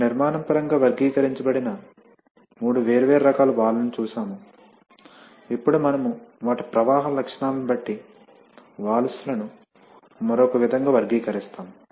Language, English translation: Telugu, Now, we, so we have seen three different types of Valve's, characterized in terms of construction right, now we shall characterize valves in another way depending on their flow characteristics